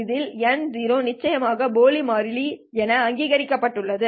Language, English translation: Tamil, N0, of course, you recognize it is just a dummy variable